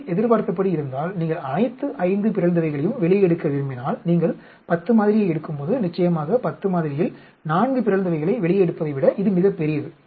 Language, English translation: Tamil, If this is as expected, if you want to take out all the 5 mutants, when you take a sample of 10, obviously is much larger than taking out 4 mutants in a sample of 10